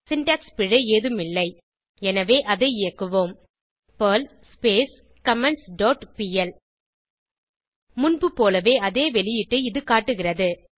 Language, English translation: Tamil, No syntax error so let us execute it perl comments dot pl It will show the same output as before